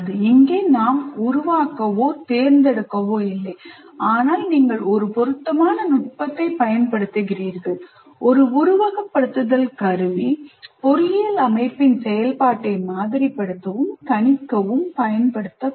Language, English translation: Tamil, So here we are neither creating nor selecting, but we are just applying an appropriate technique, that is simulation tool, to kind of, that is both modeling and prediction of the behavior of some engineering system